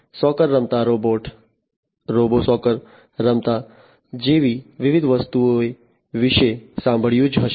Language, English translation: Gujarati, You must have heard about different things like a robot playing soccer, robo soccer, robot playing soccer